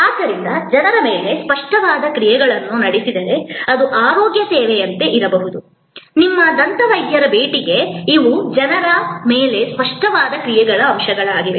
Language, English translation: Kannada, So, if tangible actions are performed on people, then it could be like a health care service, your visit to your dentist, these are elements of tangible actions on people